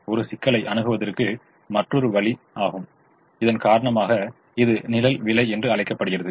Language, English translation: Tamil, now another way of looking at the problem: it's called shadow price because of this